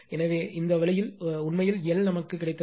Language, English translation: Tamil, So, this way actually your L we have got that is your 2